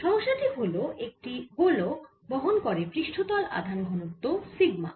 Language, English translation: Bengali, so the problem is: a sphere carries surface charge, density, sigma